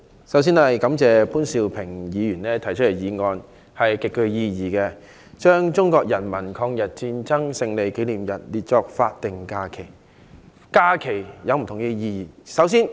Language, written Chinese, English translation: Cantonese, 我發言支持潘兆平議員提出的議案，把中國人民抗日戰爭勝利紀念日列為法定假日。, I speak in support of the motion moved by Mr POON Siu - ping to designate the Victory Day of the Chinese Peoples War of Resistance against Japanese Aggression as a statutory holiday